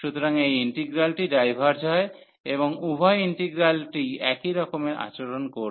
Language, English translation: Bengali, So, this integral diverges and since both the integrals will behave the same